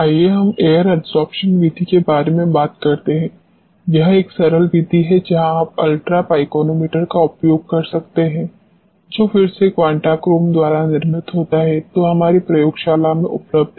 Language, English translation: Hindi, Let us talk about the air adsorption method, let it be a simple method where you can use ultra pycnometer which is again manufactured by Quntachrome which is available in our laboratory